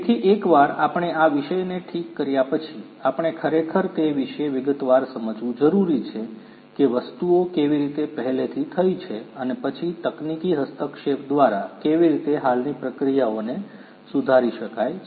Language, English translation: Gujarati, So, once we have fix the subject, we need to really understand how understand in detail how the things are already taken place and then through the technological intervention how the existing processes can be improved